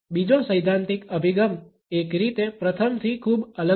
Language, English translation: Gujarati, The second theoretical approach is in a way not very different from the first one